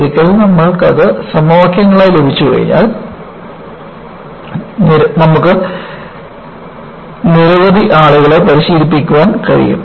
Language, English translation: Malayalam, Once, you have it as equations and then you can train many people to practice this